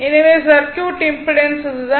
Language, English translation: Tamil, Therefore, impedance of the circuit is this one